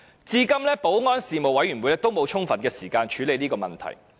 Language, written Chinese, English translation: Cantonese, 至今保安事務委員會仍沒有充分的時間處理這問題。, Up to this moment the Panel on Security still does not have sufficient time to handle this issue